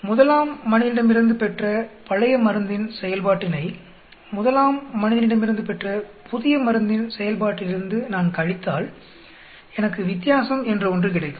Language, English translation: Tamil, If I subtract the effect of the old drug on volunteer 1 with the effect of the new drug on volunteer 1, I get something called the difference here